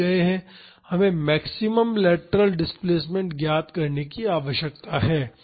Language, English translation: Hindi, We need to find out the maximum lateral displacement